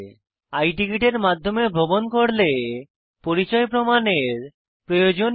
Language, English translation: Bengali, In case of I Ticket as mentioned earlier, no identity proof is required